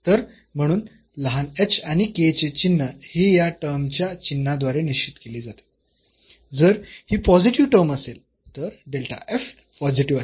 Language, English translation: Marathi, So, therefore, sufficiently small h and k the sign will be determined by the sign of this term, if this is a positive term delta f will be positive